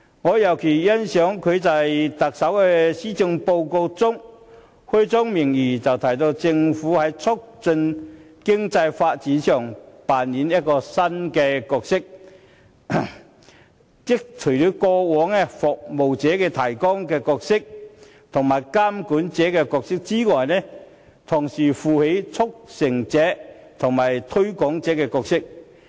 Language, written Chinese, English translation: Cantonese, 我尤其欣賞特首在施政報告開宗明義，表示政府會扮演新角色，在過往"服務提供者"及"監管者"的角色以外，同時擔當"促成者"及"推廣者"的角色。, I am particularly impressed that the Chief Executive has stated explicitly in the Policy Address that the Government will take up the new role of a facilitator and a promoter in addition to its traditional role of a service provider and a regulator